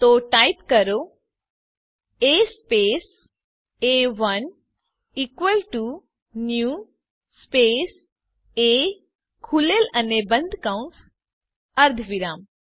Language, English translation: Gujarati, So type A space a2 equal to new space A opening and closing brackets semicolon